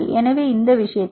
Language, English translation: Tamil, So, in this case it is equated to 13